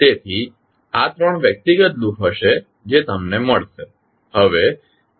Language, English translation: Gujarati, So, these will be the three individual loops which you will find